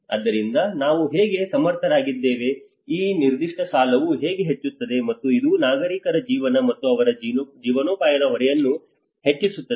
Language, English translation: Kannada, So how we are able to, how this particular debt is increasing, and it is adding to the burden of the citizen's lives and their livelihoods